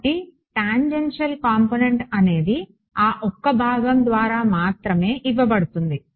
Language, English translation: Telugu, So, the tangential component is being only is only being given by that one component